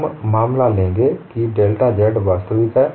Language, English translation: Hindi, We are taking a case, when delta z is real